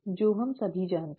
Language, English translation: Hindi, That we all know